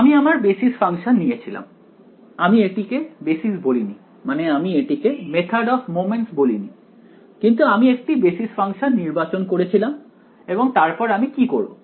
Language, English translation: Bengali, So, I did the basis function right, I did not really call it basis, I mean I did not call it method of moments and, but I chose a basis function right and then what would I do